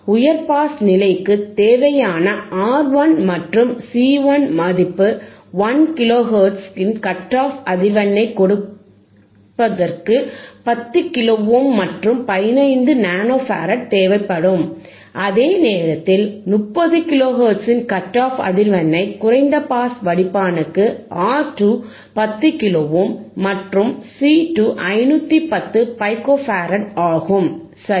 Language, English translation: Tamil, So, from here R 11 and C 1 required for high pass stage to give a cut off frequency of 1 kilo hertz orare 10 kilo ohm and 5015 nano farad, whereile R 2, C 2 for a low pass filter isof cut off frequency of 30 kilo hertz andare 10 kilo ohm and 510 pico farad, right